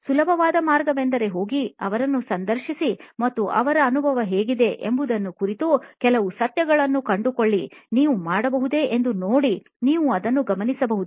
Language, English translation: Kannada, Easiest way is to go and interview them and see if you can find out, unearth some truths about what is their experience like and you can note that down